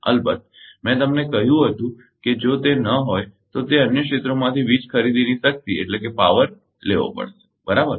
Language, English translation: Gujarati, Of course, I told you that if it is not then it has to borrow power purchase power from the other areas, right